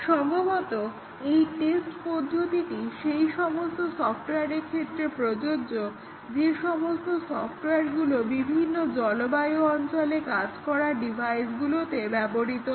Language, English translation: Bengali, Possibly, applicable to software that is required to work in devices which might work in different climatic conditions